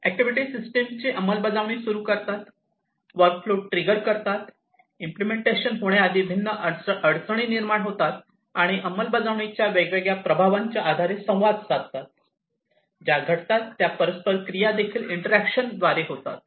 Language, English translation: Marathi, Activities trigger the system execution, trigger the workflow, trigger different constraints from being executed and also interact based on the different effects of execution the interactions that happen are also taken care of by the activity